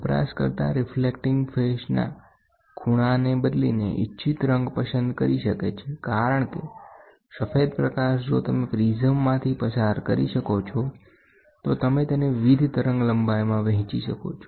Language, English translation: Gujarati, The user can select the desired color by varying the angle of the reflecting face because white light if you can pass through a prism you can divide it into various wavelength